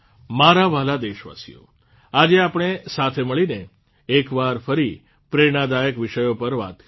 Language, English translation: Gujarati, My dear countrymen, today you and I joined together and once again talked about many inspirational topics